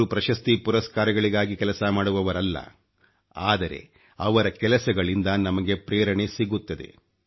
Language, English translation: Kannada, They do not labour for any honor, but their work inspires us